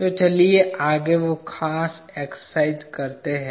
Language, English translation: Hindi, So, let us do that particular exercise next